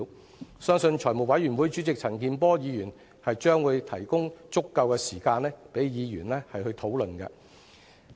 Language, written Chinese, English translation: Cantonese, 我相信財務委員會主席陳健波議員會提供足夠的時間，讓議員討論。, I believe Mr CHAN Kin - por the Chairman of the Finance Committee will allow sufficient time for Members to discuss the matter